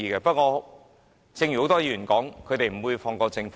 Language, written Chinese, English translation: Cantonese, 不過，正如很多議員所說，他們不會放過政府。, However as many Members have said they would not let the Government get off the hook